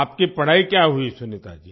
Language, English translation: Hindi, What has your education been Sunita ji